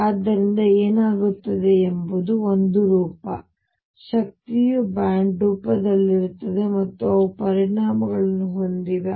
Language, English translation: Kannada, So, what happens is a form, the energy is in the form of a band and they have consequences